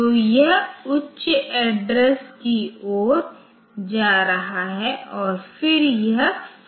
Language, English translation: Hindi, So, it will be going towards the higher addresses and then this it is full